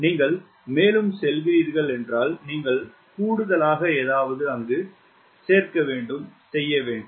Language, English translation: Tamil, if you are going further, you have to do something extra